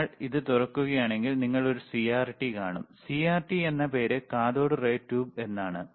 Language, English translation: Malayalam, What I am trying to put here is, that iIf you if you open it, then you will see a CRT, and as the it names CRT is cathode ray tube,